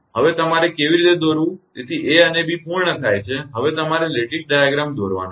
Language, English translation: Gujarati, Now, how to your draw the now a and b done, now you have to draw the lattice diagram right